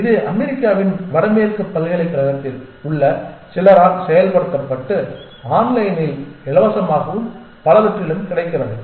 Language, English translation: Tamil, It has been in implemented by some people in the north western university in the US and its available freely online and many